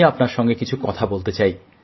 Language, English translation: Bengali, I wanted to talk to you